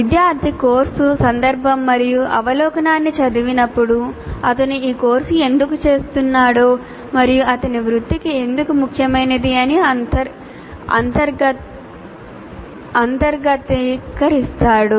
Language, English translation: Telugu, So course context will overview, when the student reads this, he finalizes why is doing this course and why is it important to his profession